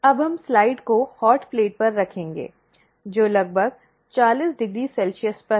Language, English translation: Hindi, Now, we will place the slide on the hot plate which is at around 40 degree celsius